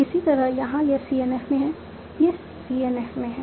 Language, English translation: Hindi, Similarly here, this is in CNF, this is in CNF